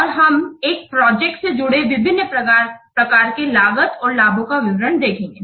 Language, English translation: Hindi, So we'll see the details of the different types of the cost and benefits associated with a project